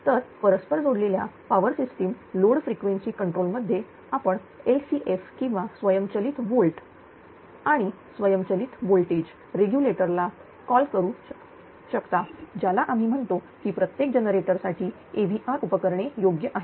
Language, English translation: Marathi, So, in an interconnected power system load frequency control that is you can short you call LFC or automatic volt and automatic voltage regulator we call AVR equipment are installed for each generator right